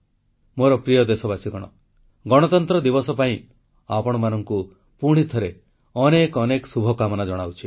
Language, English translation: Odia, My dear countrymen, once again many many good wishes for the Republic Day celebrations